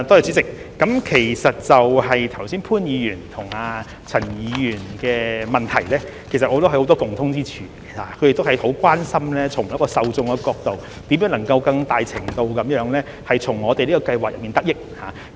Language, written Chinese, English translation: Cantonese, 主席，其實潘議員和陳議員剛才的質詢均有很多共通之處，他們都很關心從受眾的角度，如何能夠更大程度地從我們的計劃中得益。, President in fact the supplementary questions asked by Mr POON and Mr CHAN do have many points in common . The Members are very concerned about how the target recipients can benefit more from our scheme